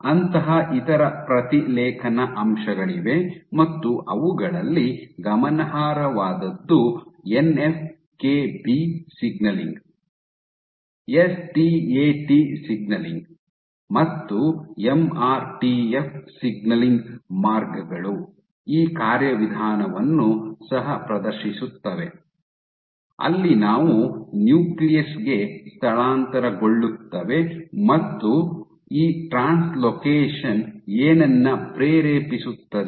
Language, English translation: Kannada, There are other such transcription factors notable among them ins Nf kB signaling, STAT signaling and MRTF signaling pathways this also exhibit this fate where they do translocate to the nucleus and what do these translocation induce